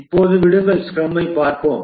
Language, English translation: Tamil, Now let's look at scrum